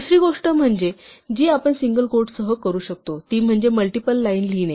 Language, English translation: Marathi, The other thing that you can do with single quote is to actually write multiple lines